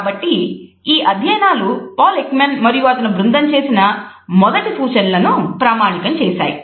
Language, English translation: Telugu, So, these studies validate the initial suggestions and findings by Paul Ekman and his group